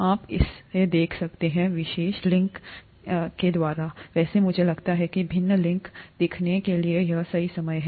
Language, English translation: Hindi, You could look at this particular link here; by the way I think this is the right time to show you the various links